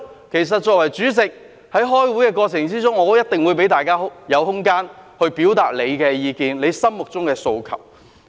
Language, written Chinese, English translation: Cantonese, 其實，作為主席，在開會的過程中，我一定會給大家空間，表達意見及心中的訴求。, In fact as the Chairman in the course of the meeting I will certainly give some room for Members to express their views and aspirations in their minds